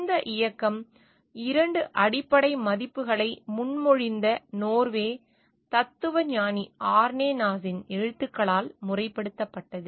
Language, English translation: Tamil, This movement was formalized with the writings of Norwegian philosopher Arne Naess who proposed 2 fundamental values